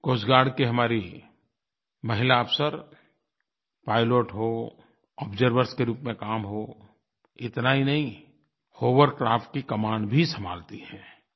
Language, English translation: Hindi, Our Coast Guard women officers are pilots, work as Observers, and not just that, they command Hovercrafts as well